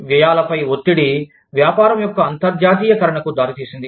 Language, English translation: Telugu, Pressure on costs has led to, the internationalization of business